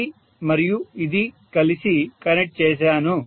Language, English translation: Telugu, This is all to be connected